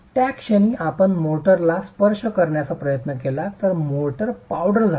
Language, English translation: Marathi, At that moment, if you try to touch the motor, the motor is powdered